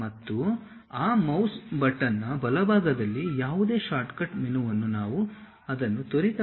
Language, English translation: Kannada, And the right side of that mouse button any shortcut menu which we will like to quickly update it we use that